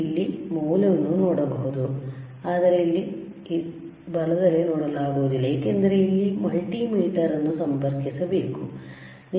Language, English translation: Kannada, Here we can also see the value, while here we cannot see right because we have to connect a multimeter here